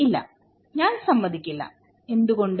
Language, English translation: Malayalam, No, I will not agree, why